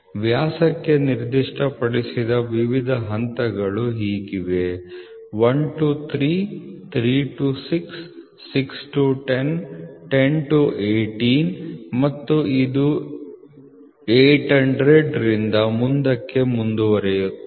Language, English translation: Kannada, The various steps specified for the diameter are as follows 1 to 3, 3 to 6, 10 to 6 to 10, 10 to 18 and it goes on from 800 to this